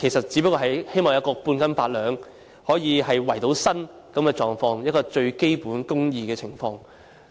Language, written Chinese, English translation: Cantonese, 只不過是希望半斤八兩，可以為生，一個最基本的公義情況。, It is just the hope for half a catty meaning eight taels that people can make a living which is the most fundamental justice